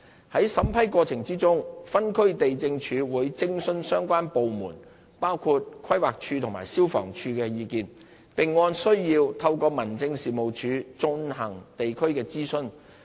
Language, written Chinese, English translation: Cantonese, 在審批過程中，分區地政處會徵詢相關部門包括規劃署及消防處的意見，並按需要透過民政事務處進行地區諮詢。, In processing the applications District Lands Offices DLOs will consult the relevant departments including the Planning Department and the Fire Services Department and conduct local consultation through the District Offices when necessary